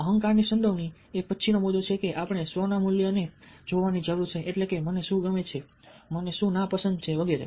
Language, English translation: Gujarati, ego involvement is the next point that we need to look at: ah, core values of the self, what i like, what i dislike